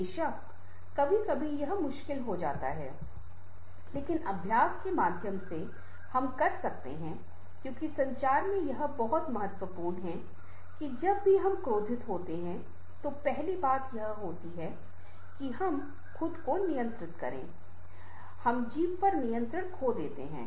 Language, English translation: Hindi, of course, at times it becomes very difficult, but through practice we can do, because what happens in communication this very important that whenever we become angry, the first thing happens that we control